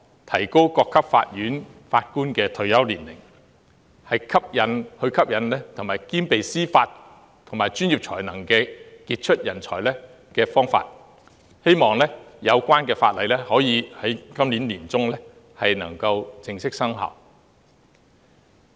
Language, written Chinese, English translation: Cantonese, 提高各級法院法官的退休年齡，是吸引兼備司法及專業才能的傑出人才的方法，希望有關的法例可以在今年年中正式生效。, Increasing the retirement age for judges across different levels of court is a way to attract outstanding talents with both judicial and professional abilities and it is hoped that the relevant legislation would come into force in the middle of this year